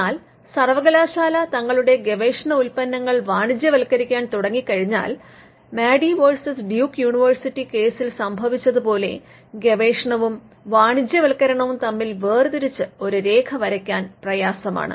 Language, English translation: Malayalam, But once university start commercializing the products of their research; it may be hard to draw a line between research used and commercialization as it happened in Madey versus Duke University